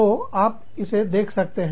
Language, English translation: Hindi, So, you see, that